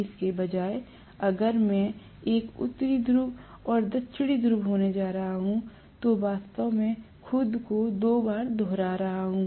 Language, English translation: Hindi, Instead, if I am going to have a North Pole and South Pole, actually repeating itself twice